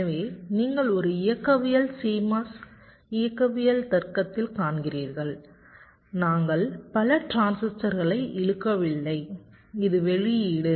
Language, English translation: Tamil, so you see, in a dynamics c mos dynamics logic we are not using many transistors in the pull up